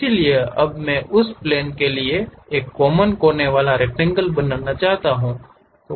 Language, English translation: Hindi, So, now I would like to draw a corner rectangle for that normal to that plane